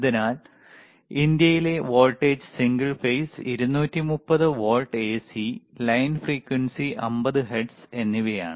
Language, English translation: Malayalam, So, the voltage in India is single phase and 230 volts AC, and the line frequency is 50 hertz